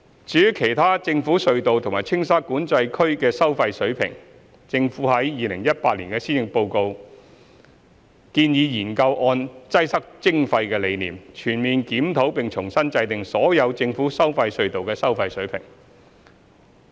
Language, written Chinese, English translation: Cantonese, 至於其他政府隧道和青沙管制區的收費水平，政府在2018年施政報告中建議研究按"擠塞徵費"的理念，全面檢討並重新制訂所有政府收費隧道的收費水平。, As for the toll levels of other government tunnels and Tsing Sha Control Area the Government proposed in the Policy Address 2018 to on the basis of the concept of Congestion Charging conduct a comprehensive study on the toll levels of all government tolled tunnels and reset all the tunnel tolls